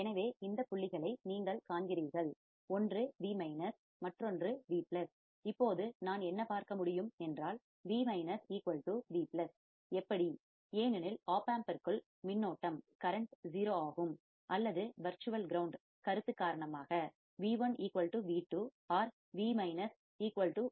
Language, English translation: Tamil, So, you see these points one is Vminus, another one is Vplus; Now what can I see, Vminus equals to Vplus, how, because current into the opamp is 0 or because of the virtual ground concept, V1 is equal to V2 or Vminus equals to Vplus